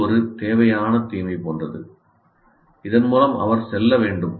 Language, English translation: Tamil, So it is something like a necessary evil through which he has to go through